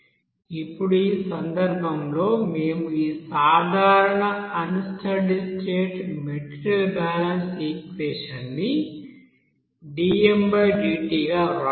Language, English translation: Telugu, Now in this case, we can write this general unsteady state material balance, general unsteady state material balance equation as here dm/dt